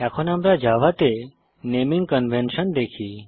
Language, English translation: Bengali, We now see what are the naming conventions in java